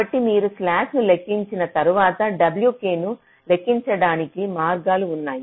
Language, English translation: Telugu, so so once you have calculated the slack, then there are ways to calculate w k